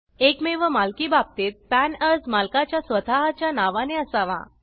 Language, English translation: Marathi, In case of sole proprietorship, the PAN should be applied for in the proprietors own name